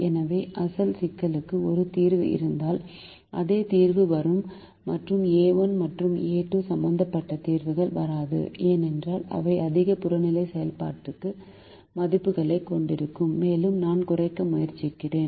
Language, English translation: Tamil, so if the original problem has a solution, the same solution will come and solutions involving a one and a two will not come because they would have higher objective function values and i am trying to minimize